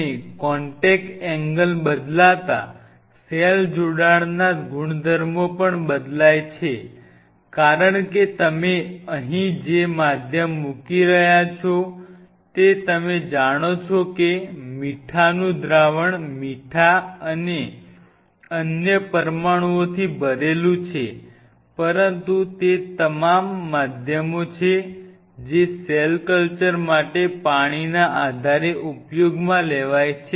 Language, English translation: Gujarati, And since the contact angle changes the cell attachment properties also changes because you have to realize the medium what you are putting out here is a salt solution filled with you know salt and other molecules, but the base is aqueous all the mediums which are been used for cell culture are from are on a water base right